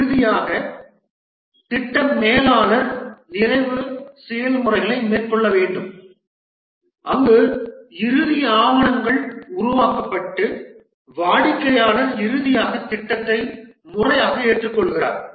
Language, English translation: Tamil, And finally, the project manager needs to carry out the closing processes where the closing documents are created and the customer finally gives the formal acceptance of the project